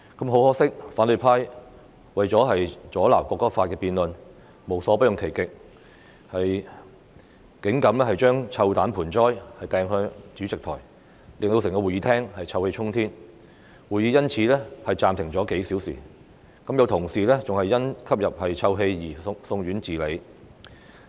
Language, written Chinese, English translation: Cantonese, 很可惜，反對派為了阻撓《條例草案》的辯論無所不用其極，有議員竟敢將臭彈盆栽擲向主席檯前，令整個會議廳臭氣衝天，會議因而暫停了數小時，有同事更因吸入臭氣而送院治理。, Regrettably the opposition camp has exhausted all means to obstruct the debate on the Bill . A Member even went so far as to throw a foul - smelling pot towards the Presidents podium causing the entire Chamber to be filled with stench and as a result the meeting was suspended for a few hours . An Honourable colleague had to be sent to hospital upon inhaling the stench